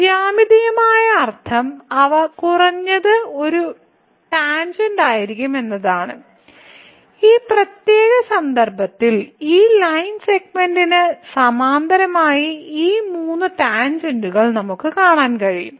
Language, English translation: Malayalam, So, the geometrical meaning is that they will be at least one tangent; in this particular case we can see these three tangents which are parallel to this line segment